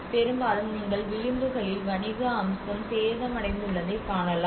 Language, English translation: Tamil, Mostly you can see that on the edges you can see that most of the commercial aspect has been damaged